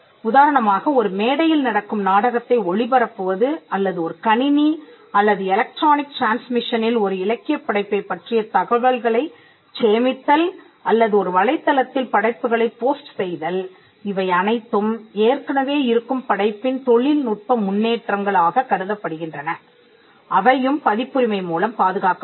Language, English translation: Tamil, For instance, broadcasting the play which happens on a stage or storing information about a literary work on a computer or electronic transmission or hosting the work on a website all these things are regarded as technological developments of an existing work they are also covered by copyright